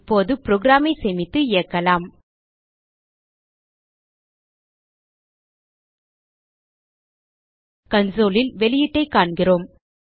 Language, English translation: Tamil, Now Save the file and Run the program We see the output on the console